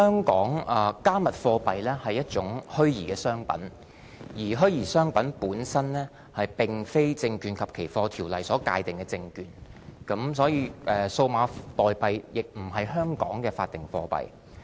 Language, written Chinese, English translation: Cantonese, "加密貨幣"是一種虛擬商品，而虛擬商品並非香港《證券及期貨條例》所界定的證券，"加密貨幣"亦並不是香港的法定貨幣。, Cryptocurrencies are one kind of virtual commodities and virtual commodities are not the securities defined in the Securities and Futures Ordinance of Hong Kong